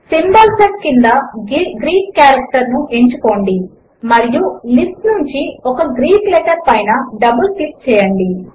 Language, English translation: Telugu, Under the Symbol set, select Greek and double click on a Greek letter from the list